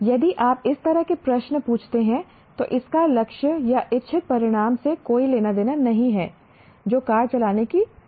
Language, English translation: Hindi, If he asks such questions, then it has nothing to do with the intended goal or intended outcome, namely that his ability to drive a car